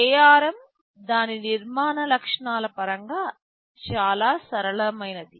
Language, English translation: Telugu, ARM is quite flexible in terms of its architectural features